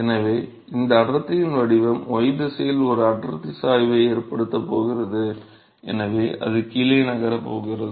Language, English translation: Tamil, So, this density profile is going to cause a density gradient in y direction and therefore, it is going to move down